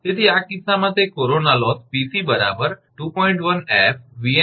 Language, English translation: Gujarati, So, in this case that corona loss Pc is equal 2